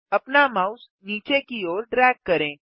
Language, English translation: Hindi, Drag your mouse downwards